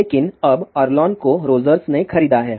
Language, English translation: Hindi, But now Arlon has been bought by Rogers